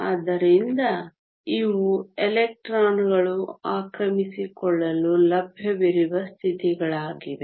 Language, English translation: Kannada, So, theses are states that available for the electrons to occupy